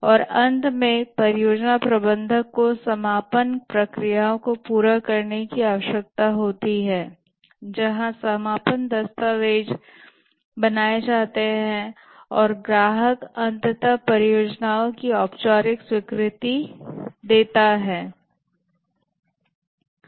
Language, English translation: Hindi, And finally, the project manager needs to carry out the closing processes where the closing documents are created and the customer finally gives the formal acceptance of the project